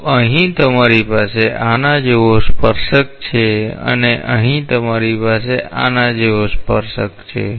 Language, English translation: Gujarati, So, here you have a tangent like this and here you have a tangent like this